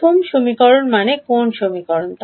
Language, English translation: Bengali, The first equation means which equation